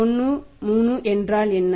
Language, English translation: Tamil, 013 that is1